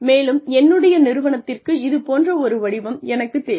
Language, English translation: Tamil, And, I need the shape of my organization, to be something like